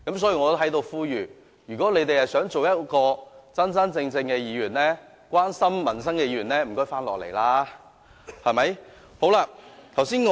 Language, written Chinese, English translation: Cantonese, 所以，我在此呼籲，如果他們想做真真正正關心民生的議員，請回來開會。, Hence let me appeal to those Members if they really want to be Members who care about peoples livelihood they should come back and attend the meeting